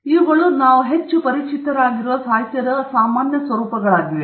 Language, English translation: Kannada, Those are the more common forms of literature that we are very familiar with